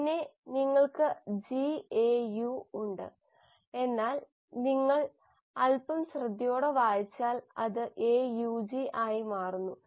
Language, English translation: Malayalam, Then you have GAU, but then if you read a little carefully this becomes AUG